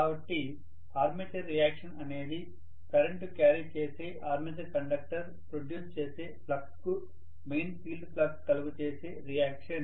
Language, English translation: Telugu, So, the armature reaction is the reaction of the main field flux to the flux produced by the armature conductors which are carrying current